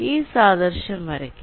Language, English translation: Malayalam, so i can draw an analogy